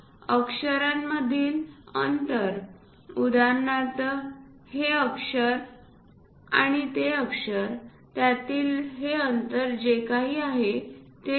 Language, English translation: Marathi, Spacing between characters; for example, this character and that character whatever this spacing that has to be used 0